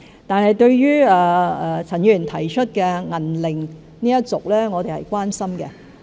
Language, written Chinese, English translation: Cantonese, 對於陳議員提出的"銀齡一族"，我們是關心的。, We are concerned about the silver age group mentioned by Mr CHAN